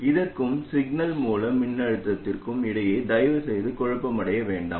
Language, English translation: Tamil, Please don't get confused between this and the signal source voltage